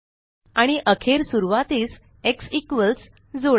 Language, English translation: Marathi, And finally add x equals to the beginning